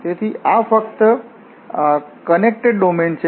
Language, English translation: Gujarati, So, this is the simply connected domain